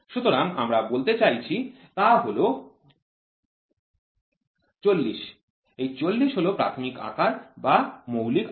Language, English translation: Bengali, So, what are we trying to say 40, 40 is the basic size basic or the nominal size